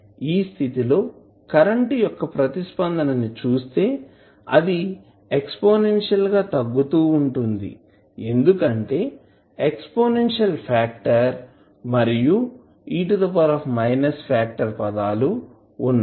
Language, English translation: Telugu, In that case if you see the response for current it would be exponentially decaying because of the exponential factor of e to power minus factor which you have